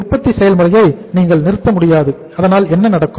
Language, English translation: Tamil, So you cannot stop the production process but here what is happening